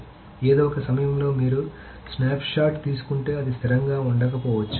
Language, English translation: Telugu, So at some point in time if you take a snapshot it may not be consistent